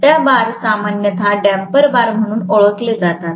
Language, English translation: Marathi, Those bars, generally is known as damper bars